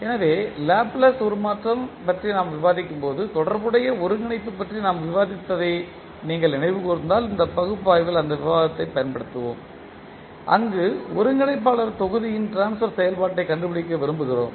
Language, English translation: Tamil, So, if you recall we discussed about the integration related when we were discussing about the Laplace transform so we used that discussion in this particular analysis where we want to find out the transfer function of the integrator block